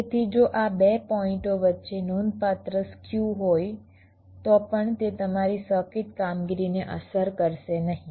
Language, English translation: Gujarati, so even if there is a considerable skew between these two points that will not affect your circuit operation